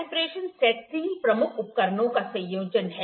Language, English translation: Hindi, Combination set is the combination of three major instruments